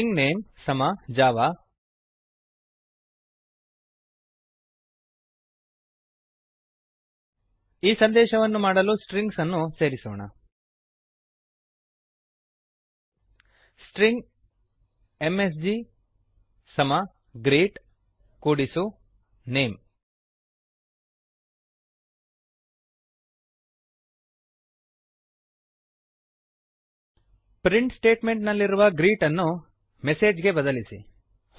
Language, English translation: Kannada, String name equal to Java Now well add the strings to make a message String msg equal to greet plus name change the greet println in the print statement to message println save the file and run it